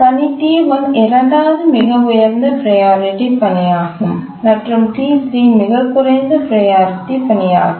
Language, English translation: Tamil, Task T1 is the second highest priority task and task T3 is the lowest priority